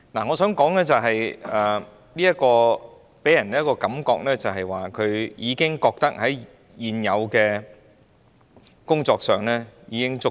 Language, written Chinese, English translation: Cantonese, 我想說，這段話予人的感覺是，政府認為推行現有的工作已經足夠。, I would like to point out that these words give the impression that the Government finds the ongoing work sufficient